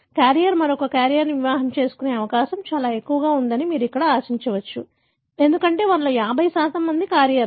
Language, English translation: Telugu, You will expect here that the chance that a carrier will marry another carrier is very high, because 50% of them are carriers